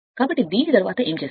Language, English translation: Telugu, So, after this, what you will do